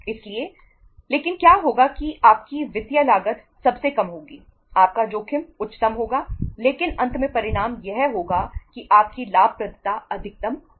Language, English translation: Hindi, So but what will happen that your cost will be financial cost will be lowest, your risk will be highest but the finally the result will be that your profitability will be the maximum